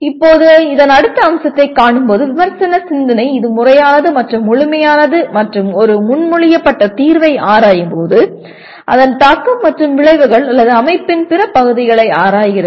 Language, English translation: Tamil, Now coming to the next aspect of this is critical thinking is systematic and holistic in the sense that while examining a proposed solution it examines its impact and consequences or other parts of the system